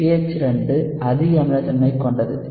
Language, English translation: Tamil, pH 2 is more acidic